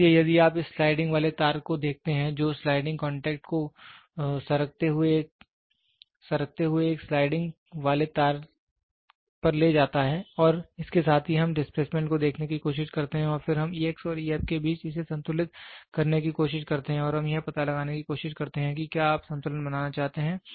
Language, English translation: Hindi, So, here if you see this sliding wire which moves the sliding contact moves on a sliding wire and with that we try to see the displacement and then we try to balance it between E x and E ab and we try to find out if you want to balance it